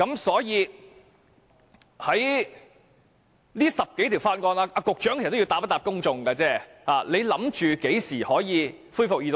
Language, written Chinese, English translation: Cantonese, 所以，局長要回答公眾，他預計這10多項法案何時可以恢復二讀呢？, Hence the Secretary has to tell the public of the time he forecasts the resumption of the Second Reading of the dozen of Bills will take place